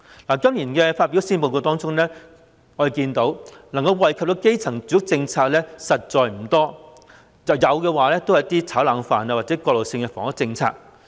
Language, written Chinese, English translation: Cantonese, 在今年發表的施政報告中，我們看到能夠惠及基層的住屋政策實在不多，即使有亦只是一些"炒冷飯"或過渡性的房屋政策。, In this years Policy Address we can see that there are not many housing policies which can benefit the grass roots . Even if there are such policies they are merely rehashes or transitional housing policies